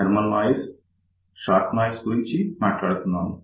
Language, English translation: Telugu, We talked about thermal noise, we talked about short noise